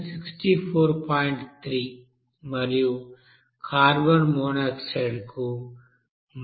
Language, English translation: Telugu, 3 and carbon monoxide it is given as 26